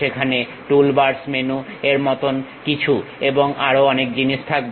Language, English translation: Bengali, There will be something like toolbars menu and many things will be there